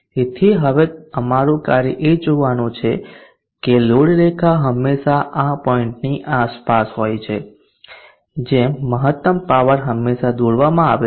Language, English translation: Gujarati, So it is our job now to see that the load line is always at around this point such that maximum power is always drawn